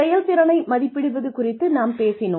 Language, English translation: Tamil, We talked about, appraising performance